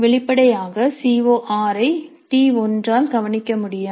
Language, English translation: Tamil, Evidently CO6 cannot be addressed by T1